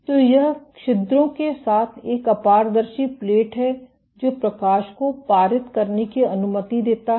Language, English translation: Hindi, So, this is an opaque plate with holes that allow light to pass